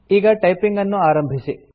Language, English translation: Kannada, Now, let us start typing